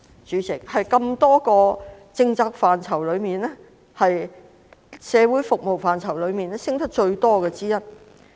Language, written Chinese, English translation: Cantonese, 在多個政策範疇當中，社會服務開支升得最多。, Among various policy areas social services have the largest increase in expenditure